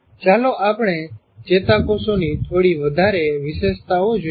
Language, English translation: Gujarati, Now let us look at a few more features of neurons